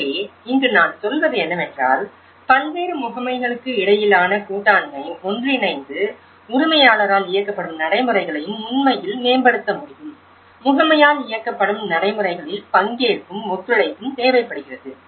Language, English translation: Tamil, So, here what I mean to say is the partnership between various agencies can bring together and can actually enhance the owner driven practices also, the agency driven practices this is where the participation is required and the cooperation is required